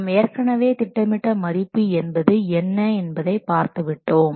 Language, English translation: Tamil, So, we have already seen about what is this plant value